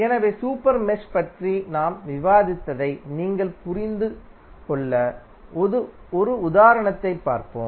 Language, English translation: Tamil, So, let us see one example so that you can understand what we discussed about the super mesh and larger super mesh